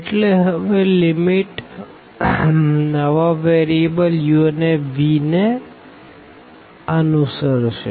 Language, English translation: Gujarati, So, the limits will now follow according to the new variables u and v